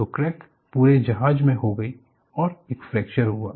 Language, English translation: Hindi, So, the crack has gone through the full shape and fracture occurred